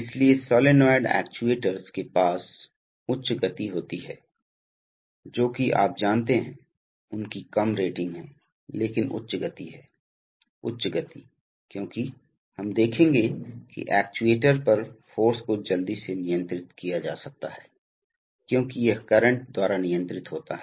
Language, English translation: Hindi, So solenoid actuators have, you know higher speeds, they are lower ratings but higher speeds because, higher speeds because, as we will see that the force on the actuator can be quickly controlled because it is controlled by current